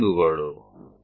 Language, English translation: Gujarati, These are the points